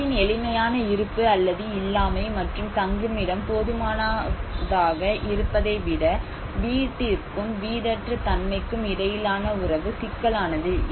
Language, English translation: Tamil, The relationship between home and homelessness is more complex than the simple presence or absence of home and the physical adequacy of the shelter